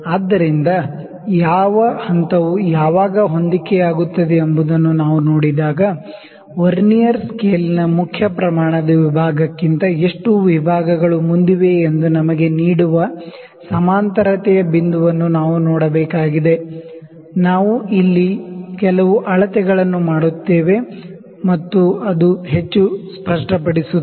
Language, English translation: Kannada, So, when we see that which point is coinciding when, we have to need to see the point that is coinciding that gives us that how many divisions ahead of the main scale division of a Vernier scale is, we will just do certain measurements here and that will make it more clear